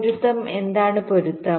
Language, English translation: Malayalam, what is a matching